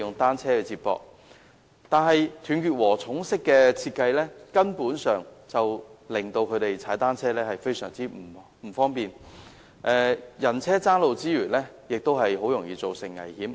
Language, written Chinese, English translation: Cantonese, 但是，"斷截禾蟲"式的設計令他們踏單車時非常不便，人車爭路之餘，亦很容易造成危險。, However the fragmented design has caused great inconvenience to the residents when they ride on bicycles . Apart from vehicle - pedestrian conflicts dangers are easily resulted